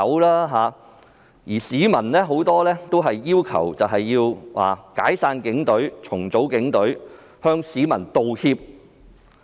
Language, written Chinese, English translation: Cantonese, 他們也提到很多市民要求解散或重組警隊，並向市民道歉。, They also mentioned that many people demanded the dissolution or reorganization of the Police Force and asked for apologies to be made to the public